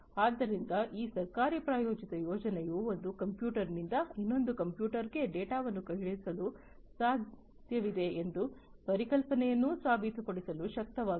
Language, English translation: Kannada, So, this government sponsored project enabled to prove the concept that from one computer, it is possible to send data to another computer